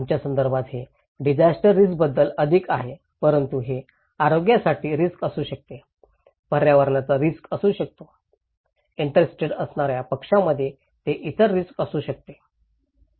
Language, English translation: Marathi, In our context, this is more about disaster risk but it could be health risk, it could be environmental risk, it could be other risk okay so between interested parties